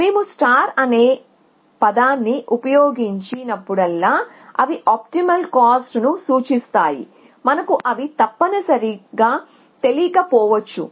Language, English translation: Telugu, So, whenever we use the term star, they just denotes the optimal cost, we may or may not know them essentially